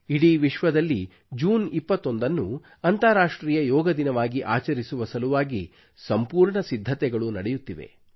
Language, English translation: Kannada, The news being received these days is that there are preparations afoot in the whole world to celebrate 21st June as International Yoga Day